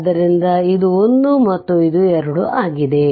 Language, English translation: Kannada, So, this is 1 this is 2